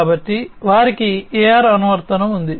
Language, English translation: Telugu, So, they have an AR app